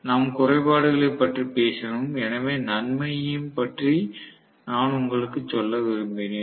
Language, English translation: Tamil, We talked about disadvantage, so I wanted to tell you about the advantage as well